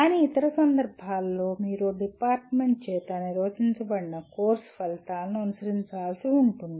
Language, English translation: Telugu, But in other cases you may have to follow the course outcomes as defined by the department itself